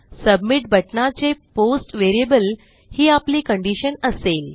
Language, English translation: Marathi, The condition will be the post variable of the submit button